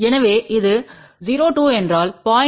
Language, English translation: Tamil, So, if it is 0 2 that means, 0